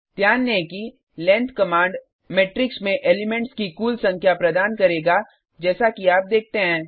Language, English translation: Hindi, Note that the length command will give the total number of elements in the matrix as you see